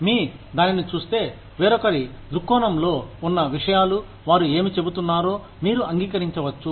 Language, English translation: Telugu, So, if you look at it, things from somebody else's perspective, you may agree to, what they are saying